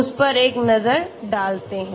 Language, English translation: Hindi, Let us have a look at that okay